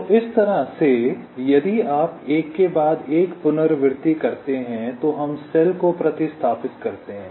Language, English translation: Hindi, ok, so in this way, ah, if you carry out an iteration, one by one we replace the cells